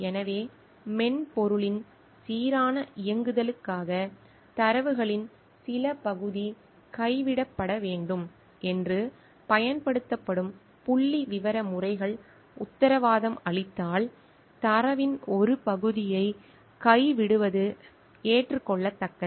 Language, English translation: Tamil, So, it is acceptable to drop a part of data if statistical methods that are used warrants that some part of the data be dropped for a smooth running of the software